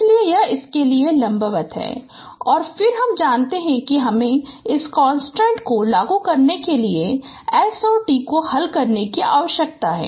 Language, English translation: Hindi, So it is perpendicular to this and then we need to solve for S and T applying this constraint